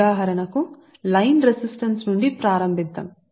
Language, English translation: Telugu, for example, let us start from the line resistance, right